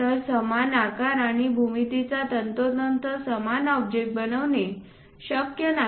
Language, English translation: Marathi, So, its not precisely possible to make the same object of same size and geometry